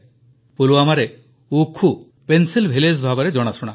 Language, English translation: Odia, In Pulwama, Oukhoo is known as the Pencil Village